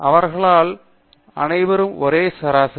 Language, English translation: Tamil, They all have the same average